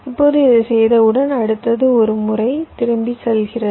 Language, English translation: Tamil, ok, now, once we have done this, next, ok, just going back once